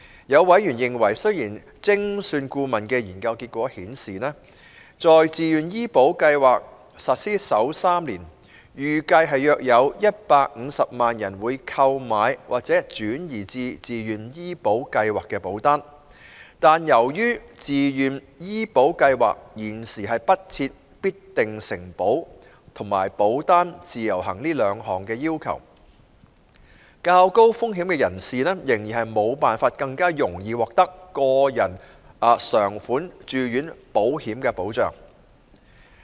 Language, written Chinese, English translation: Cantonese, 有委員認為，雖然精算顧問的研究結果顯示，在自願醫保計劃實施首3年，預計約有150萬人會購買或轉移至自願醫保計劃保單，但由於自願醫保計劃現時不設必定承保和保單"自由行"這兩項要求，較高風險人士仍然無法更容易獲得個人償款住院保險的保障。, A member has expressed the view that although according to an actuarial study it is estimated that about 1.5 million people would purchase or migrate to VHIS policies in the first three years of implementation of VHIS a VHIS without the two features of guaranteed acceptance and portable insurance policy could not improve higher - risk groups access to individual indemnity hospital insurance policies